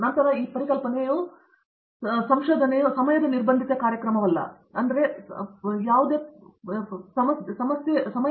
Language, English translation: Kannada, Then also have this idea that research is not a time bound program, right